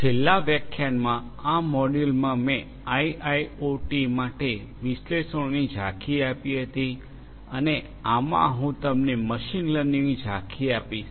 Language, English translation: Gujarati, In the last lecture, in this module I had given an overview of analytics for IIoT and in this I am going to give you the overview of machine learning